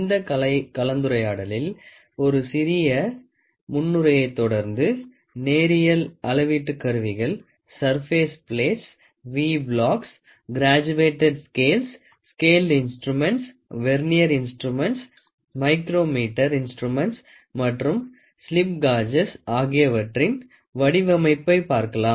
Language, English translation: Tamil, In this lecture, we will have a small introduction followed by it we will try to have a design of linear measurement instruments, surface plates, V blocks, graduated scales, scaled instruments, Vernier instruments, micrometer instruments and finally, slip gauges